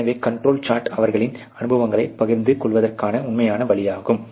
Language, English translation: Tamil, So, the control chart is the really way to share their experiences